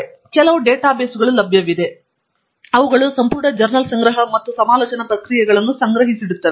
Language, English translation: Kannada, So, there are certain databases that are available, which contain the entire collection of journals and conference proceedings that will be collected together